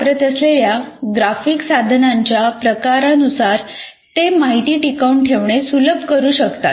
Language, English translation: Marathi, So, depending on the kind of graphic tools that you are using, they can greatly facilitate retention of information